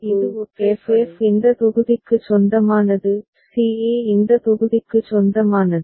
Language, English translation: Tamil, Now, for c e, f f belongs to this block; c e belongs to this block